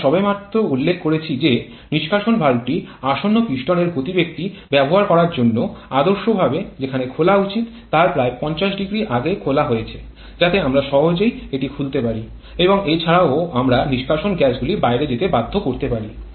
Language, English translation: Bengali, The exhaust valve is ideally opened about 500 before for the reason that we have just mentioned in order to use the momentum of the upcoming piston, so that we can easily open it and also we can force the exhaust gasses to go out